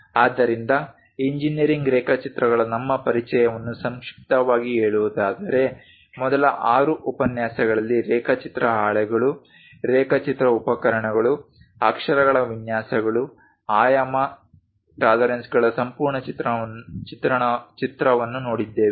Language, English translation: Kannada, So, to summarize our introduction to engineering drawings, we first looked at drawing sheets, drawing instruments, lettering layouts complete picture on dimensioning tolerances in the first 6 lectures